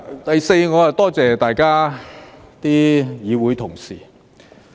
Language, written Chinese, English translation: Cantonese, 第四，我多謝大家議會同事。, Fourthly I would like to thank colleagues in this Council